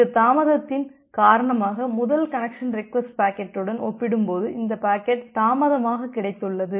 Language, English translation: Tamil, Because of that delay it has received late compared to this first connection request packet